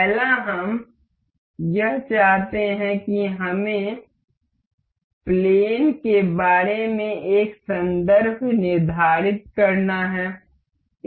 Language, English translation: Hindi, First one is we want to we have to set a reference about the plane